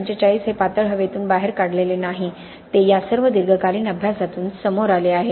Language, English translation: Marathi, 45 is not something which is picked out of thin air, it is coming out of all these long term studies, okay